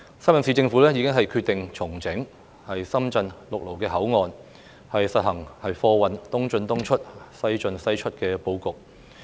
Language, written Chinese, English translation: Cantonese, 深圳市政府已決定重整深圳陸路口岸，實行貨運"東進東出，西進西出"的布局。, The Shenzhen Municipal Government has decided to revamp all the land boundary control points of Shenzhen and implement a logistics pattern of East in East out West in West out